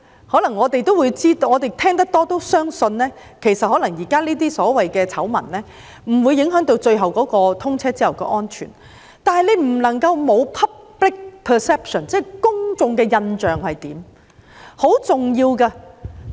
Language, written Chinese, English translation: Cantonese, 可能我們聽得多也相信，現時這些所謂"醜聞"不會影響通車後的安全，但不能夠忽視 public perception， 這是很重要的。, Maybe after hearing so much we believe that these so - called scandals will not affect safety after commissioning but we cannot ignore public perception which is very important